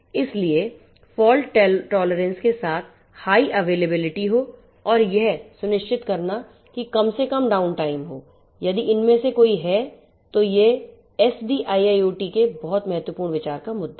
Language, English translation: Hindi, So, high availability with fault tolerance ensuring there is least downtime if at all there is any these are very important considerations of SDIIoT